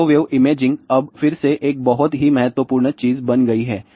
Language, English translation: Hindi, Microwave imaging is now again becoming a very very important thing